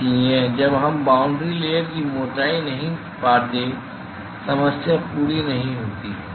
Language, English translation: Hindi, So, until we find the boundary layer thickness the problem is not complete